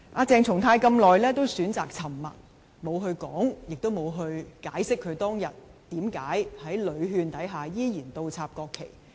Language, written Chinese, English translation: Cantonese, 鄭松泰一直選擇沉默，沒有說明及解釋他當日為何在屢勸下依然倒插國旗。, CHENG Chung - tai has chosen to remain silent all along and has not explained or accounted for his continued acts of inverting the national flags despite repeated advices tendered that day